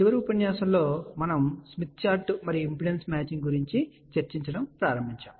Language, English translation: Telugu, In the last lecture, we are started discussion about Smith Chart and Impedance Matching